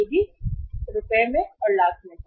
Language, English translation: Hindi, It was also in Rs, lakhs